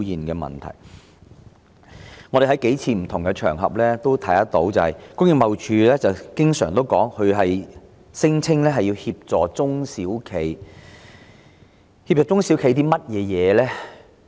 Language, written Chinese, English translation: Cantonese, 我們在數個不同場合也聽到工貿署經常聲稱會協助中小型企業，究竟詳情為何呢？, We have heard on several occasions the repeated claims by TID that they will assist small and medium enterprises SMEs . What are the details?